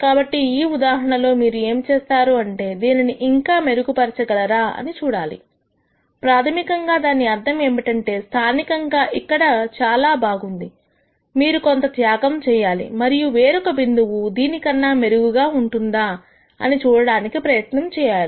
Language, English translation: Telugu, So, in cases like this what you will have to do is, you have to see whether you can improve it further, that basically means though you know locally you are very good here you have to do some sacrifice and then try and see whether there are other points which could be better